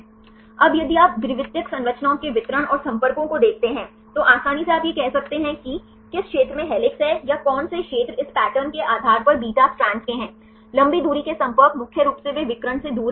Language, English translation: Hindi, Now, if you see the distribution of secondary structures and the contacts, easily you can say that, which region belongs to helices or which region belongs to beta strands based on this patterns, the long range contacts mainly they are far away from the diagonal